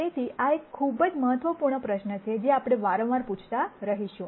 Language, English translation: Gujarati, So, this is a very important question that we will keep asking again and again